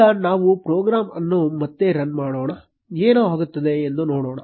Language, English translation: Kannada, Now let us run the program again and see what happens